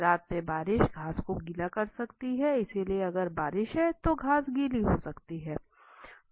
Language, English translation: Hindi, Rain in the night can make grass wet, so if there is a rain the grass can become wet